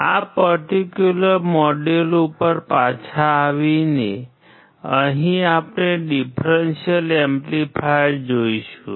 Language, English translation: Gujarati, Coming back to this particular module, here we will be looking at the differential amplifier